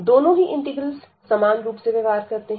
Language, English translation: Hindi, So, both the integrals will behave the same